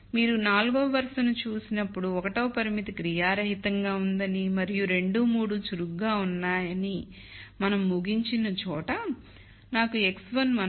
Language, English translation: Telugu, When you look at row 4, where we have assumed constraint 1 is inactive and 2 and 3 are active, I get a solution x 1 1